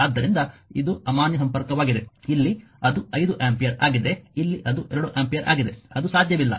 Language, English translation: Kannada, So, this is invalid connection this is invalid connection here it is invalid 5 ampere here it is 2 ampere it is not possible